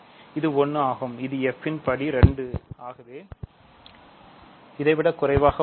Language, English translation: Tamil, It is 1 which is strictly less than degree of f which is 2